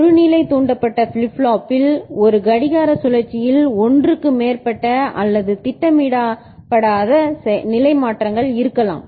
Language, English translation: Tamil, In a level triggered flip flop there can be more than one or unintended state change in one clock cycle